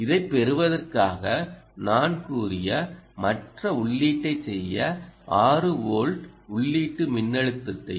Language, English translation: Tamil, in order to get to this, i am trying to back and input voltage of six volts